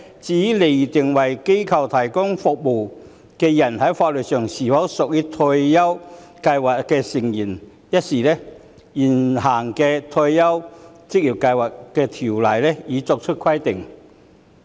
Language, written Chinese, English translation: Cantonese, 至於釐定為機構提供服務的人在法律上是否屬於職業退休計劃成員一事，現行的《職業退休計劃條例》已作出規定。, As regards statutory determination of membership of an occupational retirement scheme for persons providing service to organizations provisions have been made in the existing Occupational Retirement Schemes Ordinance ORSO